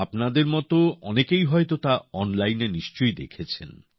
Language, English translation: Bengali, Most of you must have certainly seen it online